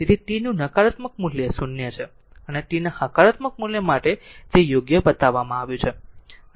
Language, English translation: Gujarati, So, negative value of t it is 0 and for positive value of t it is shown right